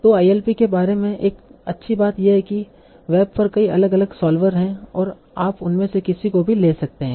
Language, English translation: Hindi, Now, so one good thing about ILP is that there are many, many different solvers on the web and you can take any of those